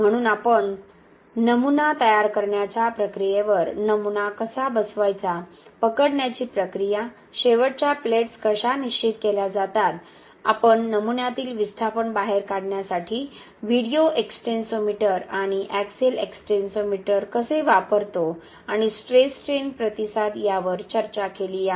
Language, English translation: Marathi, So, we have discussed the specimen preparation procedures, how to mount the specimen, the gripping procedure, how the end plates are fixed, how we use a video extensometer and axial extensometer to take out the displacement in the specimen and also the stress strain response of TRC in uni axial tensile test